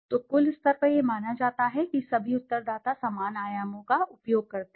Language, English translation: Hindi, So at the aggregate level it is assumed that all the respondents use the same dimensions